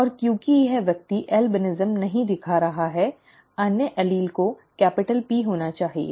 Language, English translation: Hindi, And since this person is not showing albinism allele has to be capital P